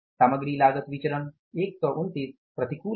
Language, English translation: Hindi, Material cost variance here it is something like 129 adverse